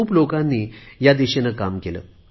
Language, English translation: Marathi, A lot of people have worked in this direction